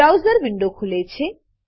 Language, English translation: Gujarati, The browser window opens